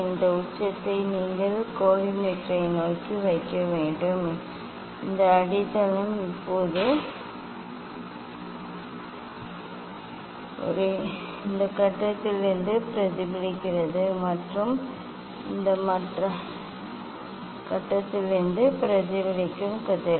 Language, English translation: Tamil, this apex you have to put towards the collimator and this base just opposite now reflected from this phase and reflected rays from this other phase